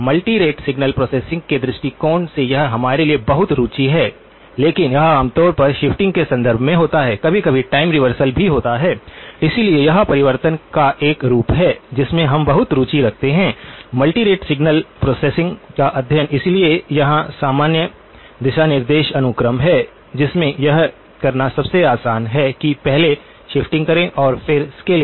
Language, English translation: Hindi, From the point of view of multi rate signal processing this is of a lot of interest to us but it usually happens in the context of shifting and occasionally, time reversal as well, so this is a form of transformation that we are very much interested in the study of multi rate signal processing, so here is the general guideline the sequence in which it is easiest to do is to do the shift first then the scaling